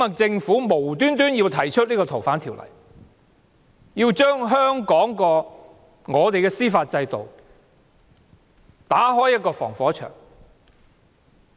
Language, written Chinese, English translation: Cantonese, 政府無故提出修訂《逃犯條例》，想將香港司法制度的防火牆拆除。, The Government proposed to amend the Fugitive Offenders Ordinance without sufficient justifications and its intention was to demolish the firewall in Hong Kongs judicial system